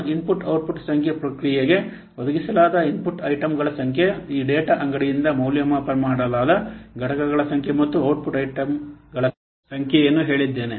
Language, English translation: Kannada, I have told the number of input output, the number of input out items applied to the process, the number of entities assessed from this data store and the number of output items are produced